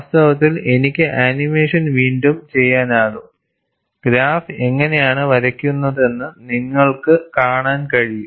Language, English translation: Malayalam, In fact, I could redo the animation and you could see how the graph is drawn